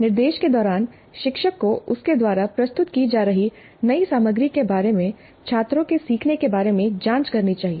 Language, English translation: Hindi, During instruction, teacher must probe the students regarding their learning of the new material that is being presented by the instructor